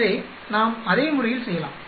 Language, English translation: Tamil, So, we can do in the same fashion